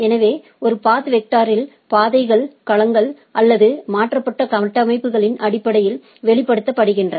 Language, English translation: Tamil, So, in a path vector, the path is expressed in terms of domains or configurations transferred